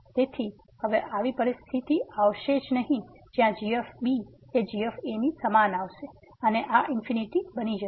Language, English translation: Gujarati, So, there will be never such a situation that this will become equal to and this will become infinity